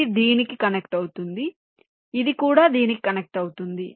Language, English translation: Telugu, this will also be connected to this